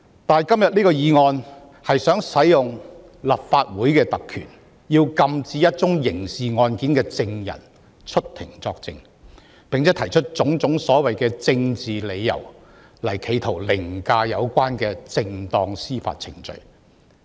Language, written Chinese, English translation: Cantonese, 但是，今天這項議案企圖行使立法會特權，禁止一宗刑事案件的證人出庭作證，並且提出種種所謂政治理由，企圖凌駕正當的司法程序。, However the motion today attempts to make the Legislative Council exercise its privileges to prohibit the witnesses to a criminal case from giving evidence in court while presenting various so - called political reasons in attempt to override the proper judicial procedure